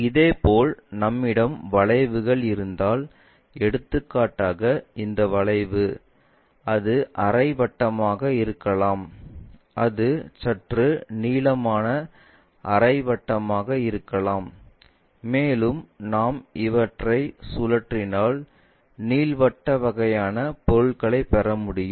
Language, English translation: Tamil, Similarly, if we have curves for example, this curve, it can be semicircle it can be slightly elongates ah semicircle also, if we revolve it ellipsoidal kind of objects we will get